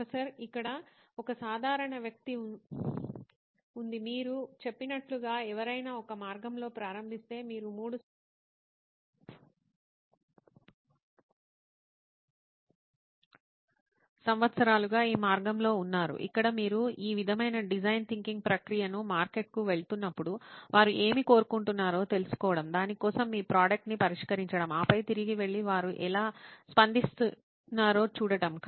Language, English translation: Telugu, Here is a generic question, if somebody were to start out on a path like what you have said so you are here on this path for 3 years now where you have been doing this sort of design thinking ish process of going to the market, finding out what they want, then fixing your product for that, then going back again and seeing how they react